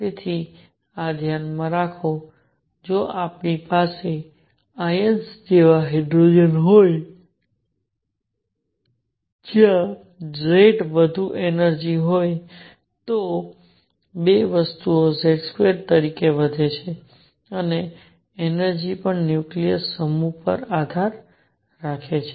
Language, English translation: Gujarati, So, so keep this in mind that 2 things if we have hydrogen like ions where Z is higher energy goes up as Z square and energy also depends on the nucleus mass